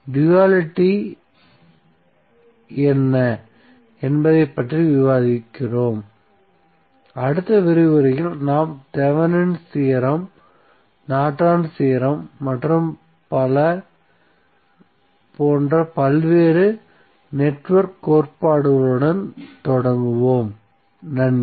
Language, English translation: Tamil, So now with this discussion on the dual circuit let us close the session of todays lecture, so in this lecture we discuss about what is the dual circuit, what is duality, in the next lecture we will start with various network theorems like Thevenin’s theorem, Norton’s theorem and so on, thank you